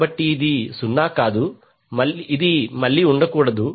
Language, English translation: Telugu, So this cannot be 0, this is again cannot be